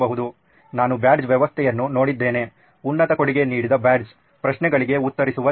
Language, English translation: Kannada, I have seen a badge system, a badge given to the top contributor, people who answer questions